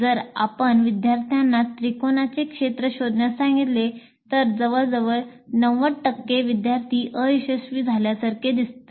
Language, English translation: Marathi, If you ask the student to find the area of a triangle, almost 90% of the students seem to be failing